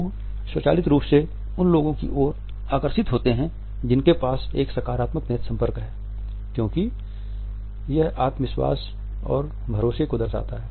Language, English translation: Hindi, People are automatically drawn towards people who have a positive eye contact because it conveys self assurance and confidence